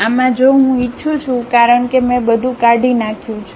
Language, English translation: Gujarati, In this if I would like to because I have deleted everything